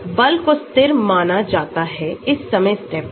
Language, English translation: Hindi, The force is assumed to be constant during this time step